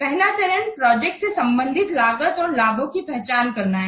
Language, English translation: Hindi, First we have to identify the cost and benefits pertaining to the project